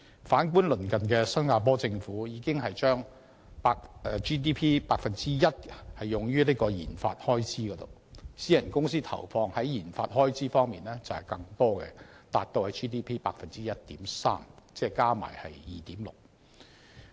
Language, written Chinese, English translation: Cantonese, 反觀鄰近的新加坡政府已將 GDP 的 1% 用於研發開支，而私人公司投放的研發開支則更多，達 GDP 的 1.3%， 合共為 2.3%。, Conversely the neighbouring Singaporean Governments research and development RD expenditure has already accounted for 1 % of the Gross Domestic Product GDP and the expenditure incurred by enterprises on RD is even more accounting for 1.3 % of GDP totalling 2.3 %